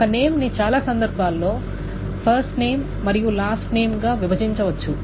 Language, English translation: Telugu, A name can, in most cases, can be broken down into a first name and a last name